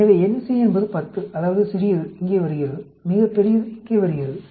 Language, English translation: Tamil, So, nc is 10; that is, the smallest comes here, and the largest comes here